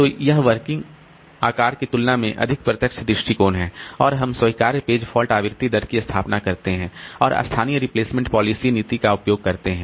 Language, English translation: Hindi, So, this is a more direct approach than working set size and we establish acceptable page fault frequency rate and use local replacement policy